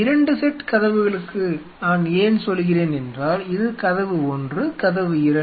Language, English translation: Tamil, The reason for 2 sets of doors why I am telling you is, this is door one this is the door two